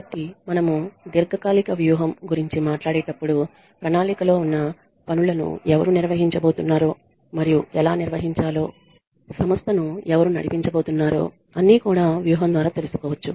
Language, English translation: Telugu, So, when we talk about long term strategy, strategy involves knowing who is going to run the organization who is going to carry out the tasks that have been planned and how